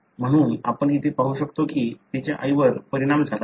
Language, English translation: Marathi, Therefore, you can see here that her mother is affected